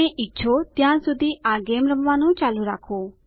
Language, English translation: Gujarati, Continue playing this game as long as you wish